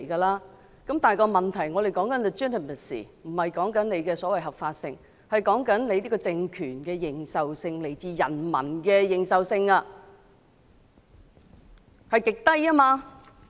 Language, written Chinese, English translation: Cantonese, 然而，我們現時所說的 "legitimacy"， 並不是指所謂的合法性，而是這個政權的認受性、是來自人民的認受性極低。, Yet the legitimacy we are talking about here is not the so - called lawfulness but the recognition by the people of the ruling regime which is extremely low . It happens that the results of an opinion poll were announced yesterday